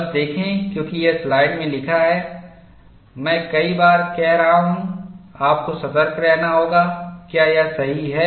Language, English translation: Hindi, See just, because it is written like this I have been saying many times, you have to be alert, is it right